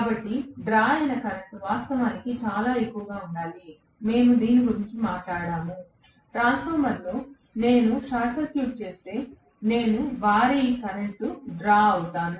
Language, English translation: Telugu, So, the current drawn should be actually enormously high, we talked about this, in the transformer if I short circuit it, I will have huge current being drawn if I am going to actually you know not include any load